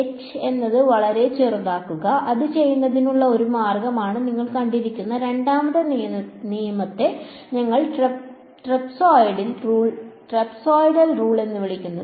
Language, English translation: Malayalam, Make h very very small right that is one way of doing it, the second rule which you would have seen would we call the trapezoidal rule